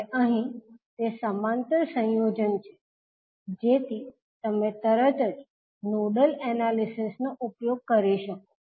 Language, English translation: Gujarati, Now here, it is a parallel combination so you can straightaway utilize the nodal analysis